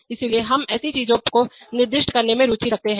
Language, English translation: Hindi, So we are we are interested in specifying such things